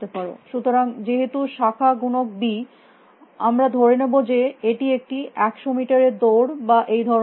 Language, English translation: Bengali, So, since branching factor is b we will assume that it is something like that say 100 meter sprint or something like that